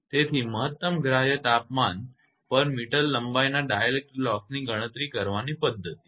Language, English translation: Gujarati, So, the method is to calculate the dielectric loss per meter length at the maximum permissible temperature